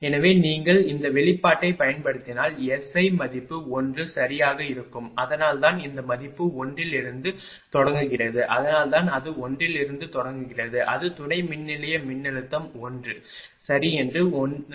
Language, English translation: Tamil, So, if you use this expression you will find S I value will be 1 right that is why this this value is starting from 1 right, that is why it is starting from 1 assuming that substation voltage is 1 right if it is 1